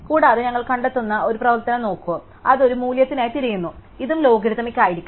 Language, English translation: Malayalam, And also we will look at an operation called find, which searches for a value and this will also be logarithmic